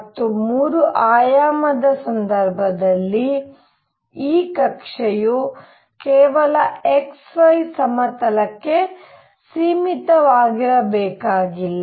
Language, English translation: Kannada, And in the 3 dimensional case what happens this orbit need not be confined to only x y plane